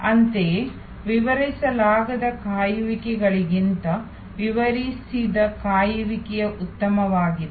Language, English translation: Kannada, Similarly, explained waits are better than unexplained waits